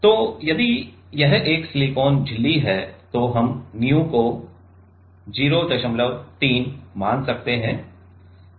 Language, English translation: Hindi, So, if it is a silicon membrane we can consider nu to be 0